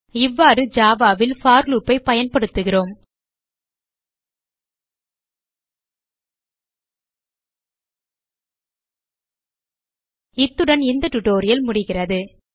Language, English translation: Tamil, In this way we use for loop in Java We have come to the end of this tutorial